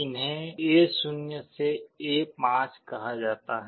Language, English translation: Hindi, These are called A0 to A5